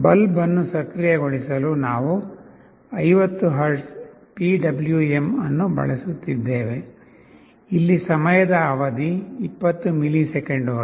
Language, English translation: Kannada, And for activating the bulb we have assumed that, we have using 50 Hertz PWM, with time period 20 milliseconds